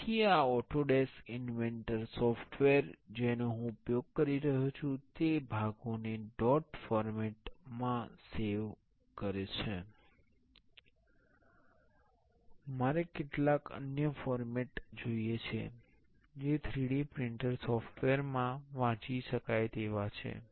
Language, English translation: Gujarati, So, this Autodesk inventor software I am using is saving the parts in a dot it formats I want some other format that can be readable in the 3D printer software